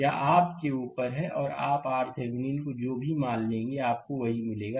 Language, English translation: Hindi, It is up to you and you will get whatever value you take R Thevenin, you will get the same thing